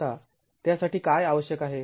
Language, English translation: Marathi, Now what does that require